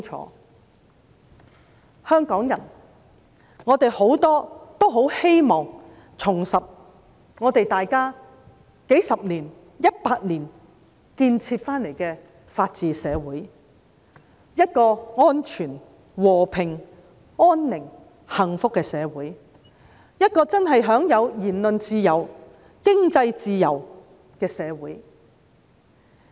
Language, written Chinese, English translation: Cantonese, 很多香港人希望重拾數十年、一百年所建設得來的法治社會，香港是一個安全、和平、安寧、幸福的社會，一個真正享有言論自由、經濟自由的社會。, Many Hong Kong people want to resurrect the law - abiding society that was built up in the past few decades or even the last century . Hong Kong used to be a safe peaceful society free from worry and full of happiness . It used to be a society which genuinely enjoyed freedom of speech and a free economy